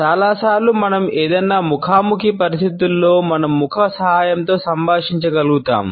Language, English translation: Telugu, Most of the times we are able to communicate with help of our face in any face to face situation